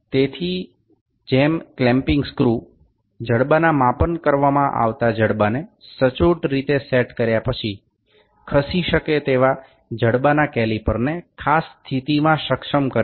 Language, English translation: Gujarati, So, as the clamping screw enables the caliper of the movable jaw in a particular position after the jaws have been set accurately over the jaw being measured